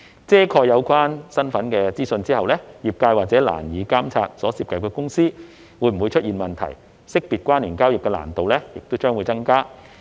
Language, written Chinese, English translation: Cantonese, 遮蓋有關身份資訊後，業界或會難以監察所涉及的公司會否出現問題，識別關聯交易的難度亦將會增加。, Redaction of the relevant identity data may make it difficult for the industry to monitor whether there are any irregularities in the company concerned which will also increase the difficulties in identifying related transactions